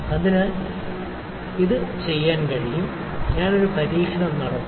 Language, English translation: Malayalam, So, this can be done and I will do one experiment